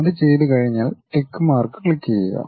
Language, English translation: Malayalam, Once it is done click the tick mark